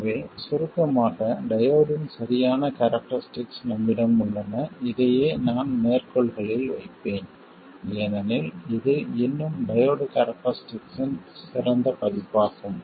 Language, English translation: Tamil, So, to summarize, we have the exact characteristics of the diode and this exact I will put in quotes because this is still an idealized version of the diode characteristics and in a practical diode you will have other non ideal features